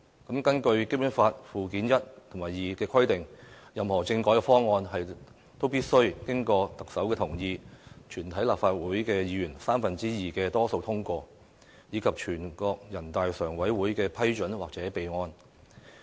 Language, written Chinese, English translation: Cantonese, 根據《基本法》附件一和附件二的規定，任何政改方案都必須經過特首同意、立法會全體議員三分之二多數通過，以及全國人大常委會的批准或備案。, According to Annexes I and II of the Basic Law amendments to the constitutional reform package must be made with the consent of the Chief Executive the endorsement of a two - thirds majority of all the members of the Legislative Council and they shall be reported to NPCSC for approval or for the record